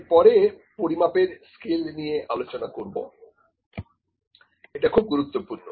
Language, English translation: Bengali, Next is, the scales of measurement scales of measurement of very important